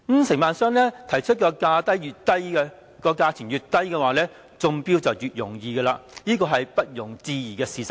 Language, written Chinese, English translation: Cantonese, 承辦商提出的價格越低，越容易中標，這是不容置疑的事實。, The lower the price offered by contractors the easier will be the bid won . This is an undeniable fact